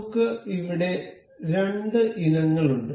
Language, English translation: Malayalam, We here have two items